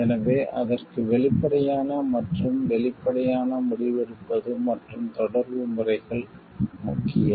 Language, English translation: Tamil, So, for that open and transparent decision making and communication methods are important